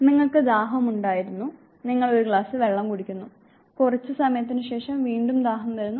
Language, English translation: Malayalam, You were thirsty, you have a glass of water after sometime once again the thirst will reappear